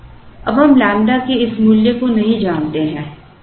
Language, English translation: Hindi, Now, we do not know this value of lambda